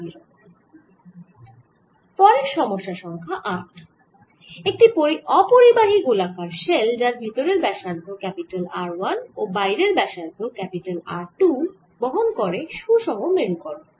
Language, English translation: Bengali, next problem, number eight, and insulating spherical shell in a radius r one and outer radius r two carries the uniform polarization